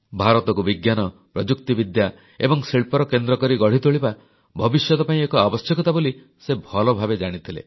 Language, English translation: Odia, He knew very well that making India a hub of science, technology and industry was imperative for her future